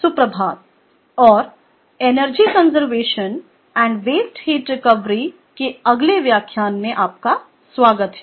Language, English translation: Hindi, good morning and welcome to the next lecture of energy conservation and waste heat recovery